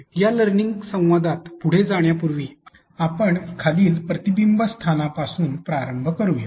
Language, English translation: Marathi, And but before we proceed with this learning dialogue let us start with the following reflection spot